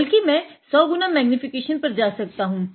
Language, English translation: Hindi, I am going to 100 x magnification now